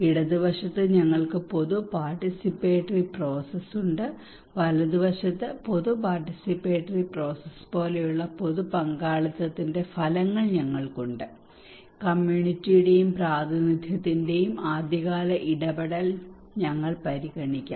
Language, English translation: Malayalam, On the left hand side we have process of public participation, on the right hand side, we have outcomes of public participation like for the process of public participations we may consider early engagement of the community and representations of